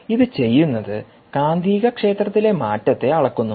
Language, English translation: Malayalam, what it does is it measures the change in magnetic field